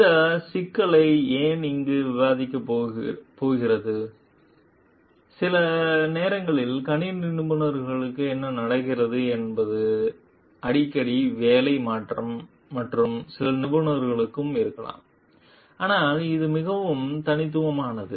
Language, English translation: Tamil, Why going to discuss this issue over here, is sometimes what happens for computer professionals there is a frequent job changes and also maybe for other professionals, but this is more ingenious